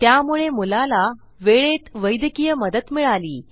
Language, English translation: Marathi, So the boy got the medical aid in time